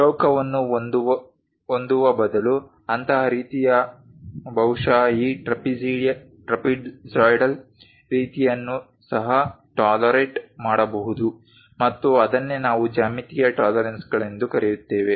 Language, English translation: Kannada, Such kind of thing instead of having a square perhaps this trapezoidal kind of thing is also tolerated and that is what we call geometric tolerances